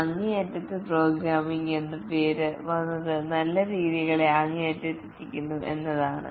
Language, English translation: Malayalam, The name extreme programming comes from the fact that the good practices are taken to extreme